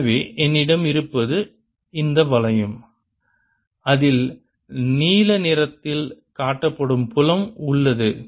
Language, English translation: Tamil, so what i have is this ring in which there is a fields inside shown by blue